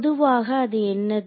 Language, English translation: Tamil, So, in general what is it